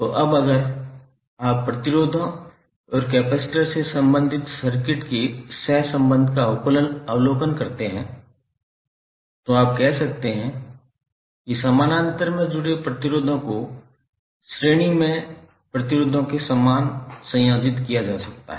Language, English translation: Hindi, So now if you observe the, the correlation of the circuits related to resistors and the capacitors, you can say that resistors connected in parallel are combined in the same manner as the resistors in series